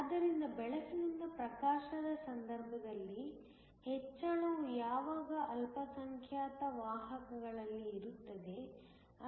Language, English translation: Kannada, So, the increase in the case of illumination by light is always in the minority carriers